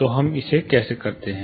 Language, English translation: Hindi, So, how do we again further do it